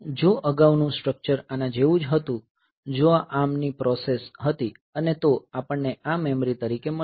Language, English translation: Gujarati, So, if previously the structure was like this if this was the process of the ARM processor and we have got this as the memory, these are the memory